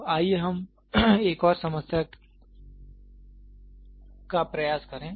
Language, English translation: Hindi, So, let us try one more problem